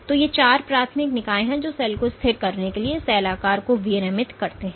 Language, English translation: Hindi, So, these are the four primary entities which regulate cell shape are required for cell to be stabilized